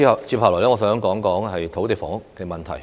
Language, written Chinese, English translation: Cantonese, 接下來，我想談談土地房屋問題。, Next I would like to talk about the land and housing problem